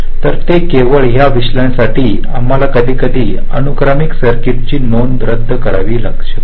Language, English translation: Marathi, so just for that analysis, sometimes we may have to unroll a sequential circuit like this